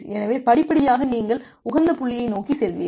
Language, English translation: Tamil, So, gradually you will move towards the optimal point